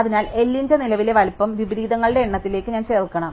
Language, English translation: Malayalam, So, I should add the current size of L to the number of inversions